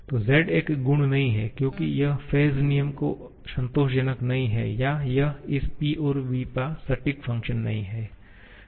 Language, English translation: Hindi, So, z is not a property as it is not satisfying the phase rule or I should say it is not the exact function of this P and v